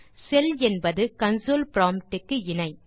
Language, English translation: Tamil, A cell is equivalent to the prompt on console